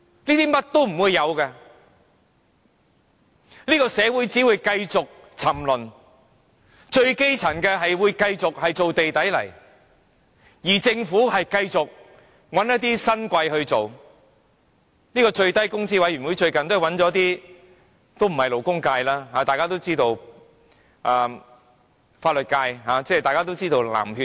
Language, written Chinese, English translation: Cantonese, 這一切都不會有，這個社會只會繼續沉淪，最基層的市民繼續做"地底泥"，而政府將繼續找一些新貴來處理這事，最低工資委員會最近找了一些不屬勞工界的人士加入，大家都知道他們是來自法律界的"藍血"。, None of these is possible for them and this society will only continue to degenerate . People in the lowest stratum will continue to be treated like dirt while the Government will keep on getting prestigious newcomers to handle this issue . The Minimum Wage Commission has recently included in its composition members who are not from the labour sector and as Members may know they are blue blood from the legal profession